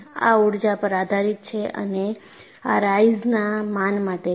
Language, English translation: Gujarati, This is again energy based and this is in honor of Rice